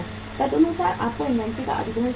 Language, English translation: Hindi, Accordingly you have to acquire the inventory